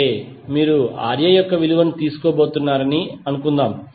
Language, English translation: Telugu, That means suppose you are going to find out the value of Ra